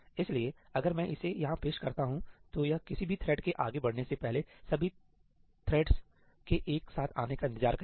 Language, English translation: Hindi, So, if I introduce that over here, then it will wait for all the threads to come together at this point in time before any thread proceeds further